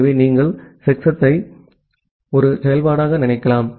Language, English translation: Tamil, So, you can think of checksum as a function if